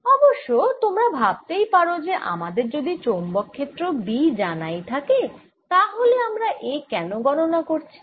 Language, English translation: Bengali, off course, you maybe be wondering: if we know the magnetic field b, why are we calculating a then